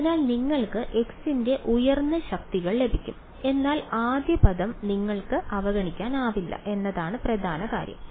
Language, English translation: Malayalam, So, you will higher powers of x you will get, but the point is that you cannot ignore the first term; the first term will always be there right